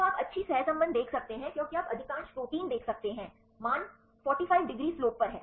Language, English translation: Hindi, So, you can see the good correlation because you can see most of the proteins right the values are on the 45 degree slope